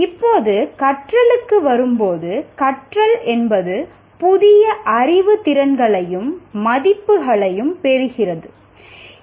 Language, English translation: Tamil, Now coming to learning, learning is acquiring new knowledge, skills and values